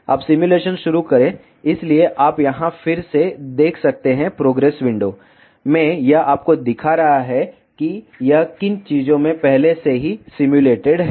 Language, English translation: Hindi, Now, start the simulation, so you can see here again in the progress window it is showing you what things it has already simulated